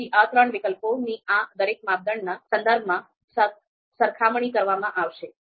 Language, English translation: Gujarati, So, these three alternatives are going to be compared with respect to each of these criterion